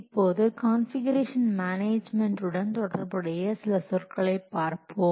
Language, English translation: Tamil, Now let's see some of the important terminology associated with configuration management